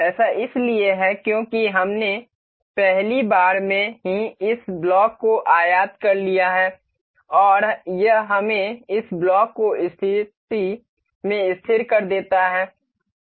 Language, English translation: Hindi, This is because we have imported this block in the very first time in the very first time and this makes us this makes this block fixed in the position